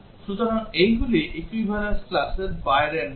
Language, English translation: Bengali, So, these are values outside the equivalence classes